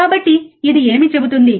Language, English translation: Telugu, So, what does it say, right